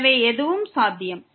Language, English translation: Tamil, So, anything is possible